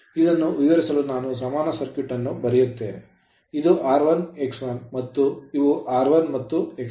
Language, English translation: Kannada, You make an equivalent circuit, this is my r 1, this is my x 1 and this is my r f and this is my x f right